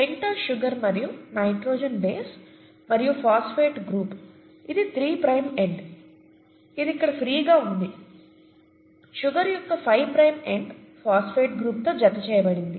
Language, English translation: Telugu, The pentose sugar, right, and the nitrogenous base and the phosphate group to, this is a three prime end which is free here, the five prime end of the sugar is attached with the phosphate group